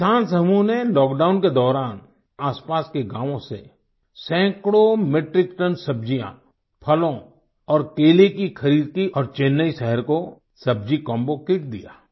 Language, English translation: Hindi, This Farmer Collective purchased hundreds of metric tons of vegetables, fruits and Bananas from nearby villages during the lockdown, and supplied a vegetable combo kit to the city of Chennai